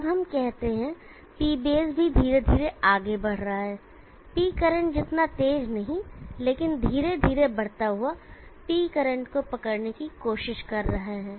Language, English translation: Hindi, Now let us say that the P base is also moving slowly not as fast as P current, but slowly moving up trying to catch up with P current